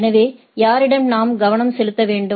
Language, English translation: Tamil, So, from to whom I should concentrate right